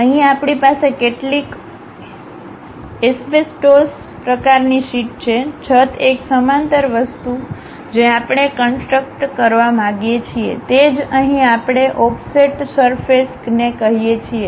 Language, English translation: Gujarati, Here, we have some asbestos kind of sheet, the roof a parallel thing we would like to construct, that is what we call offset surfaces here also